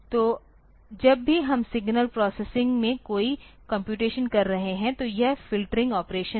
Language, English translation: Hindi, So, whenever we are doing any computation in signal processing so, this is the filtering operations